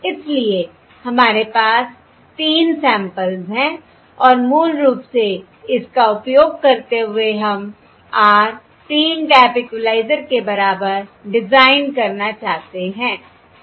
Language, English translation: Hindi, So we have 3 samples and basically using this, we want to design an r equal to 3 tap, an r equal to 3 tap, equaliser, correct